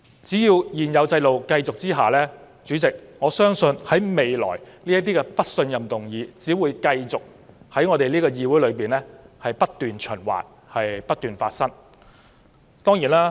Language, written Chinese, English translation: Cantonese, 只要現行制度持續，主席，我相信這類"不信任"議案未來將會繼續被提上我們這個議會，循環不息。, So long as the existing system continues President I believe this type of no - confidence motions will continue to make their way to this Council in endless recurrence